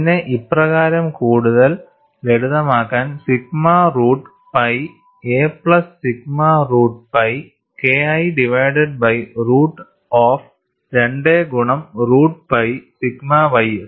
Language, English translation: Malayalam, And this could be further simplified as sigma root pi a plus sigma root pi K 1 divided by root of 2 multiplied by root of pi sigma ys, these are all intermediate steps